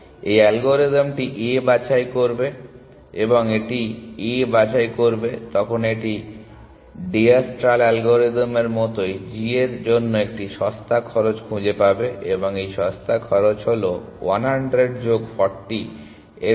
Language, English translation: Bengali, So, this algorithm will pick A, and when it picks A it will find a cheaper cost to g exactly like diastral algorithm would have done, and this cheaper cost is the cost of 100 plus 40 which is 140